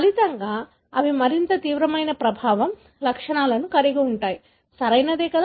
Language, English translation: Telugu, As a result, they will have more severe effect, symptoms, right